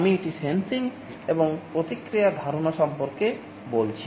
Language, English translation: Bengali, This is the notion of sensing and feedback I am talking about